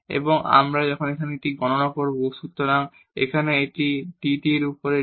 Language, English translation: Bengali, And now we will compute this; so, here this is dx over dt